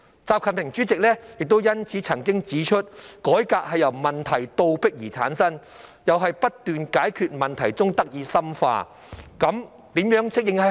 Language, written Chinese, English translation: Cantonese, 習近平主席因此亦曾指出："改革由問題倒逼而產生，又在不斷解決問題中得以深化。, For this reason President XI Jinping has also pointed out that existing problems have forced us to reform and reforms are deepened once problems are tackled and solved